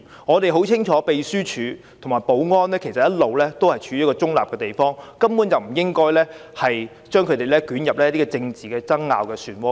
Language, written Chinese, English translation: Cantonese, 我們很清楚秘書處及保安人員其實一向行事中立，根本不應把他們捲入政治爭拗的漩渦中。, We clearly understand the Secretariat and its security staff have been performing their duties impartially thus we should not draw them into political rows